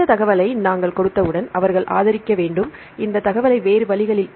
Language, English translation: Tamil, Then once we give this information then they have to support, this information by other means